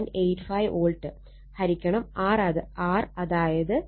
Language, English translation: Malayalam, 85 volt divided by R, so 14